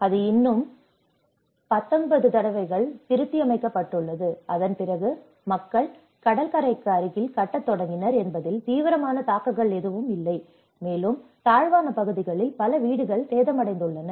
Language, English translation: Tamil, And it has been revised 19 times still there, and even then there is not much serious implication that people started building near the sea shore, and that is where many of the houses have been damaged in the low lying areas